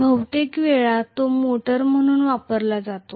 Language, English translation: Marathi, Most of the times it is going to be used as a motor